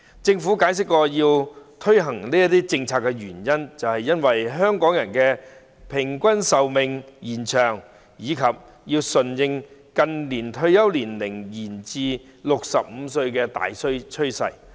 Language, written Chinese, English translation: Cantonese, 政府解釋，推行這項政策的原因在於香港人的平均壽命延長，並要順應近年退休年齡延至65歲的大趨勢。, The Government explains that the reason for implementing this policy is the longer life expectancy of Hongkongers coupled with the need to dovetail with the major trend of extending the retirement age to 65